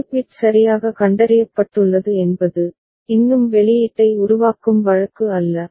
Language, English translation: Tamil, One bit has been detected properly means still it is it is not a case of generating the output